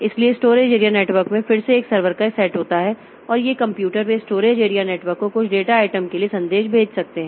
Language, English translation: Hindi, So, storage area network again consists of a set of servers and these computers they can send messages to the storage area network asking for some data item